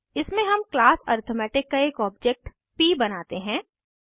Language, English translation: Hindi, In this we create an object of class arithmetic as p